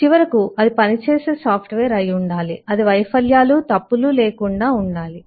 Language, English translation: Telugu, and, finally, it must be working software, that is, it should be, failure free, fault free